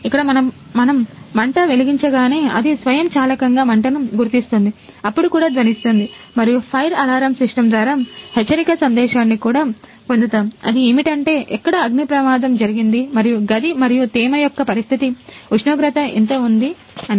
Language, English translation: Telugu, Here we if burn flame then automatically detect the fire, then also buzzer sounded and also get a alert message through a fire alarm system the here is a fire break out and what is the condition of the room and humidity what is temperature